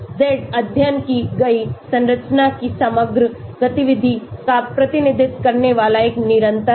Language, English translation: Hindi, Z is a constant representing the overall activity of the structure studied